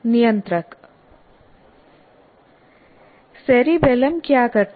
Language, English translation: Hindi, And what does cerebellum do